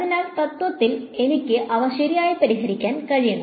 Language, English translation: Malayalam, So, in principle I should be able to solve them right